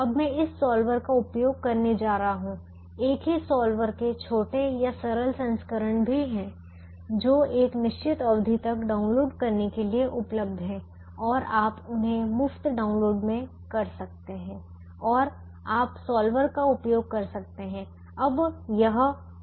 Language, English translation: Hindi, there are also smaller or simpler versions of the same solver which is available for download upto a certain period and you can use them as a free download and you can use the solver